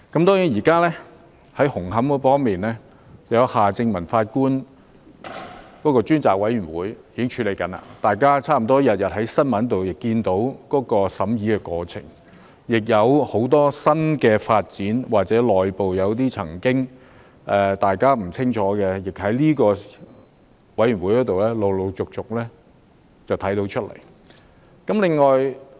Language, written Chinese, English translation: Cantonese, 當然，現時就紅磡站的問題，有夏正民法官擔任主席的調查委員會正在處理，大家差不多每天在新聞報道也看到審查的過程，而很多新的發展或大家以前不清楚的內部問題，亦由調查委員會陸續披露出來。, Of course the Commission of Inquiry chaired by Mr Justice Michael John HARTMANN is now dealing with the problem of Hung Hom Station . We can learn about the progress of investigation from media reports almost every day and many new developments or internal problems that were unknown to us before have been gradually disclosed by the Commission of Inquiry